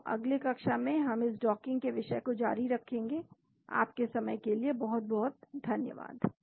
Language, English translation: Hindi, So, we will continue more on this topic of docking in the next class